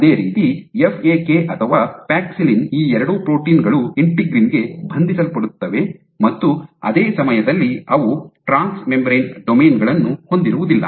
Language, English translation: Kannada, Similarly FAK or paxillin both these proteins are known to bind to integrin, and at the same time they do not have trans membrane domains